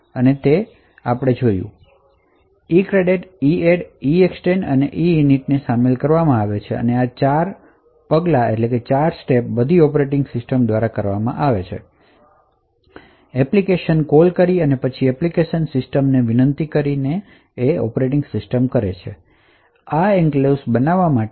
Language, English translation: Gujarati, So, after EINIT that is the first step which is over here so the first step as we seen over here ivolves the ECREATE EADD EEXTEND and EINIT, so these 4 steps are all done the operating system by application invoking system calls and then requesting application system to create this enclave